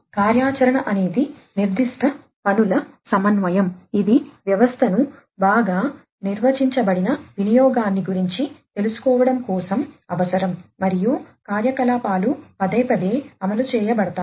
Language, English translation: Telugu, Activity is the coordination of specific tasks, that are required to realize a well defined usage of a system and activities are executed repeatedly